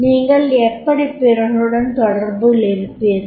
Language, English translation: Tamil, How do you communicate with others